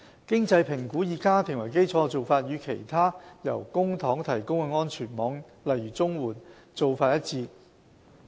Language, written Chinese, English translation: Cantonese, 經濟評估以家庭為基礎的做法，與其他由公帑提供的安全網做法一致。, Like other publicly - funded safety nets Scheme the financial assessment for drug subsidies is household - based